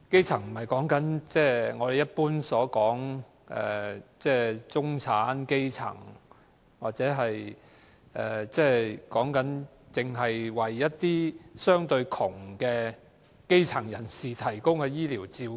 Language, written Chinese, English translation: Cantonese, 所謂"基層"，不是我們一般所指的"中產"、"基層"人士的基層，所以，基層醫療不是向相對窮困的基層人士提供的醫療照顧。, In contrast to the differentiation between the middle class and the poorer grass - roots the primary health care system does not primarily serve the needs of the poor grass - roots . Conceptually it rather refers to the first contact point when we are in need of health care services